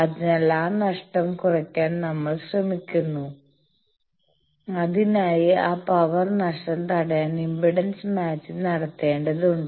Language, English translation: Malayalam, So, we try to minimize that loss and for that we need to do impedance matching to prevent that power loss